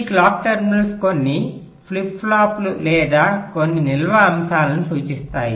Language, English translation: Telugu, see, these clock terminals refer to some flip flops or some storage elements